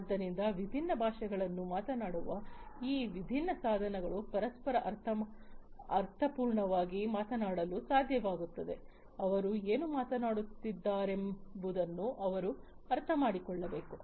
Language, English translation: Kannada, So, these different devices talking different languages they should be able to talk to each other meaningfully, they should be able to understand what they are talking about